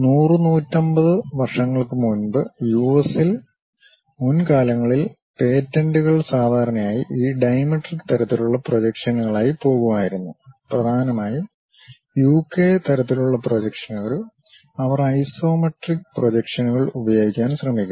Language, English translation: Malayalam, Earlier days like some 100, 150 years back, in US the patents usually used to go with this dimetric kind of projections; mainly UK kind of projections, they try to use for isometric projections